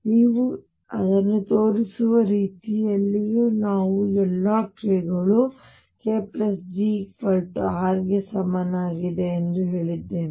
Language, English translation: Kannada, And the way you show it is since we said that all k’s within k plus g r equivalent